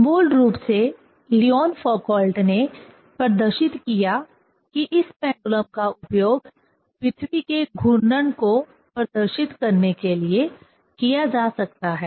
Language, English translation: Hindi, Basically Leon Foucault he demonstrated that this pendulum can be used to demonstrate the earth rotation, ok